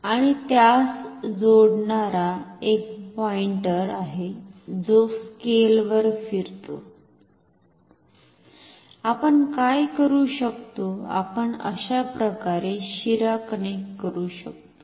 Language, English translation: Marathi, And there is a pointer attached to it which moves along a scale, what we can do, we can connect a vein like this